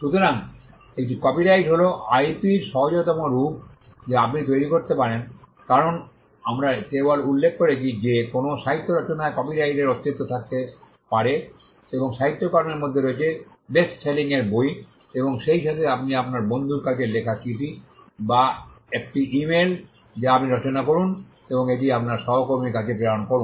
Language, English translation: Bengali, So, an copyright is the easiest form of IP that you can create because, we are just mentioned that copyright can exist in any literary work and literary work includes bestselling books as well as the letter that you write to your friend or an email that you compose and send it to your colleague